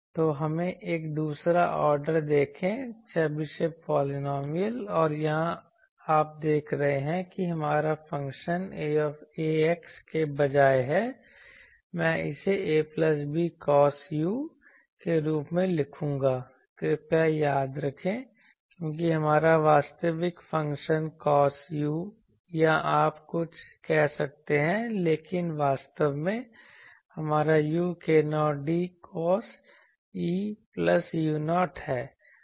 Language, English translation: Hindi, So, let us see that to this let us see a 2nd order Chebyshev polynomial and here you see our function is instead of a x, I will write it as a plus b cos u please remember because our actual function is or cos u or something you can say, but actually our u is what that k 0 d cos theta plus u 0